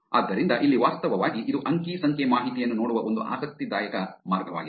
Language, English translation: Kannada, So, here is an interesting way of actually looking at it the data